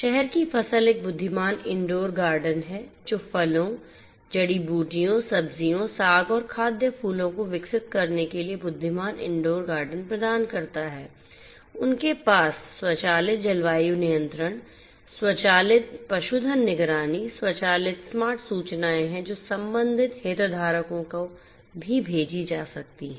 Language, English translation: Hindi, CityCrop is an intelligent indoor garden that provides intelligent indoor garden to grow fruits, herbs, vegetables, greens and edible flowers, they have implementation of automated climate control, automated livestock, monitoring automated you know smart notifications which can be sent to the concerned stakeholders and also to the plant doctors automated notifications would be sent